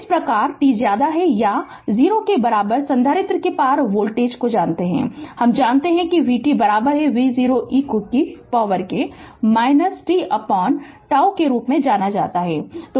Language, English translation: Hindi, Thus the voltage across the capacitor for t greater than or equal to 0 we know this know v t is equal to V 0 e to the power minus t by tau